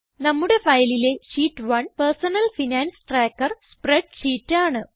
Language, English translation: Malayalam, The sheet 1 of our file contains the spreadsheet for Personal Finance Tracker